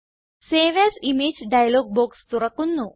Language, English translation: Malayalam, Save as image dialog box opens